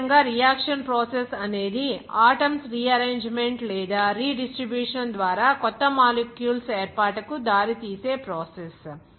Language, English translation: Telugu, Similarly, the reaction process is a process that leads to the formation of new molecules by rearrangement or redistribution of the constituent atoms